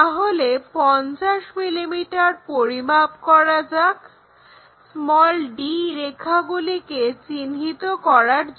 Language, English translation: Bengali, So, let us measure 50 mm to locate d lines, so this is 50 mm